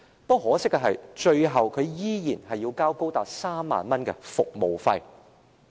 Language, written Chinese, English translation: Cantonese, 很可惜，最後他依然要繳交高達3萬元的服務費。, Unfortunately he still had to pay an exorbitant service fee amounting to 30,000 in the end